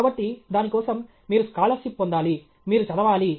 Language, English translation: Telugu, So, for that, you have to get scholarship; you have to read